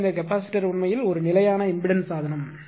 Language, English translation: Tamil, So, basically what happened this capacitor actually it is a constant impedance device